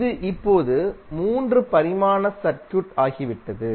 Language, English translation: Tamil, It is now become a 3 dimensional circuit